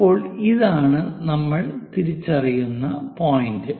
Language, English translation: Malayalam, Now, this is the point what we are identifying